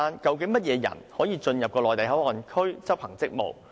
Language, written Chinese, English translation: Cantonese, 究竟甚麼人員可以進入內地口岸區執行職務？, What kind of officers can actually enter the Mainland Port Area MPA to discharge their duties?